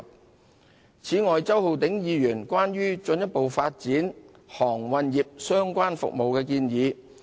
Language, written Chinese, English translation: Cantonese, 此外，政府正積極跟進周浩鼎議員關於進一步發展航運業相關服務的建議。, In addition the Government is actively following up Mr Holden CHOWs proposal to further develop services related to the maritime industry